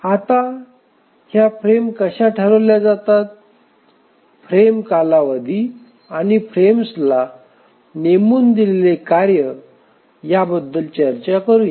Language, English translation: Marathi, Now let's proceed looking at how are these frames decided frame duration and how are tasks assigned to the frames